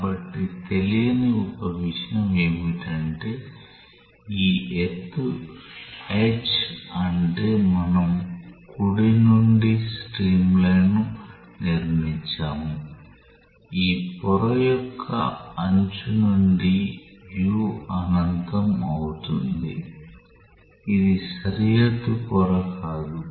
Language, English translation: Telugu, So, one thing that remains unknown is that what is this height h because we have constructed streamline from the right, from the edge of this layer where u become u infinity this is not a boundary layer